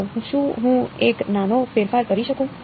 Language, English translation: Gujarati, So, is there a small change I could do